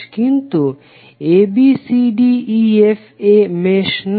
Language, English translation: Bengali, But abcdefa is not a mesh